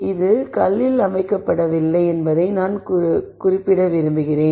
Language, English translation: Tamil, I just want to mention that this is not set in stone